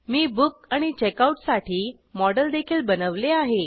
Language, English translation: Marathi, I have also created a model for Book and Checkout